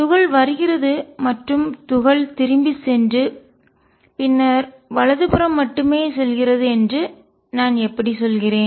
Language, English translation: Tamil, How come I am only saying that particle has coming in going back and then going only to the right